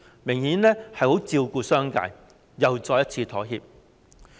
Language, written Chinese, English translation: Cantonese, 明顯地，政府十分照顧商界，又再一次妥協。, Obviously the Government takes great care of the business sector and compromises again